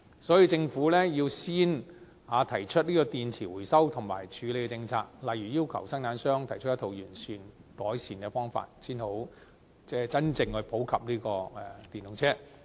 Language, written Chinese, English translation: Cantonese, 所以，政府要先提出電池回收和處理的政策，例如要求生產商提出一套完善的改善方法，才能落實普及使用電動車。, Hence the Government has to put forth battery recovery and disposal policies for example requiring the manufacturers to propose comprehensive improvement measure so that the popularization and use of EVs can be realized